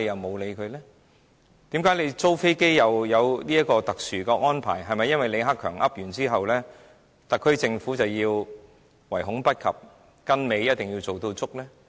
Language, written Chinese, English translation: Cantonese, 為何租飛機可以獲得特殊安排，是否因為李克強說完之後，特區政府便要唯恐不及的跟尾，樣樣做足呢？, Why the aircraft leasing can enjoy this special arrangement? . Is it the case that the SAR Government cannot wait to follow the remarks of LI Keqiang and get everything prepared for the industry to establish its presence in Hong Kong?